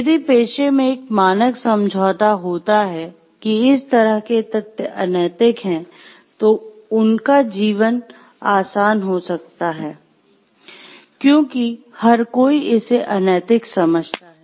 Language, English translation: Hindi, If there is a standard agreement in the profession; like these types of facts are unethical, their life is easy, because everybody understands it to be unethical